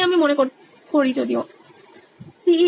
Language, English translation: Bengali, So I think yeah